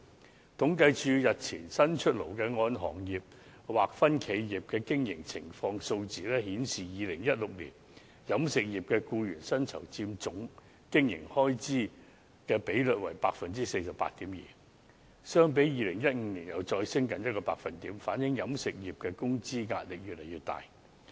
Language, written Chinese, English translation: Cantonese, 政府統計處日前剛公布"按行業劃分的企業經營情況"的數字顯示 ，2016 年飲食業僱員薪酬佔總經營開支的比率為 48.2%， 相比2015年再上升近1個百分點，反映飲食業的工資壓力越來越大。, According to the figures in the survey on operating characteristics of enterprises analysed by sector published by the Census and Statistics Department the other day in 2016 the share of compensation for employees in total operating expenses is 48.2 % for restaurants representing a further increase of nearly 1 % over 2015 . This shows that wages have imposed an increasingly higher pressure on the catering industry